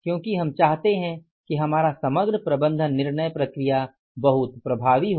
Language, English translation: Hindi, Because we want to make our overall management decision making process very very effective